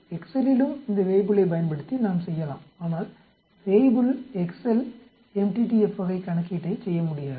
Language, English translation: Tamil, In the Excel also we can do using this Weibull but Weibull Excel cannot do the m t t f type of calculation